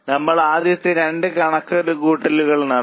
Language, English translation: Malayalam, So, first two calculations we have done